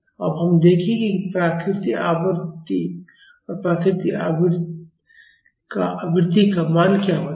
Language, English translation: Hindi, Now we will see, what is the value of natural period and natural frequency